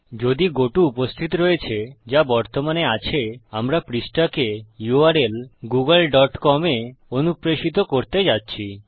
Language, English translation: Bengali, If the goto exists, which it currently does, we are going to redirect the page to a u r l google dot com